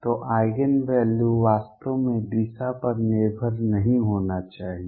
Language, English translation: Hindi, So, Eigen value should not really depend on the direction